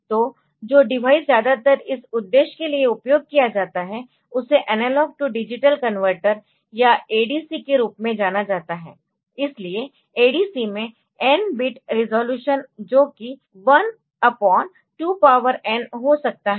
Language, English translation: Hindi, So, the device that is mostly used for this purpose known as the analog to digital converter or ADC so, an ADC can have a n bit resolution in 1 upon 2 power n is the bit step size